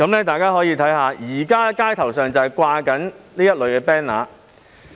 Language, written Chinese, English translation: Cantonese, 大家可以看看，現時街頭正在懸掛這類 banner。, Members may take a look at the relevant banners hanging on the streets